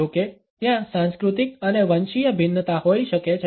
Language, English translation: Gujarati, However, there may be cultural and ethnic variations